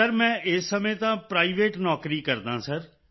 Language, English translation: Punjabi, Sir, presently I am doing a private job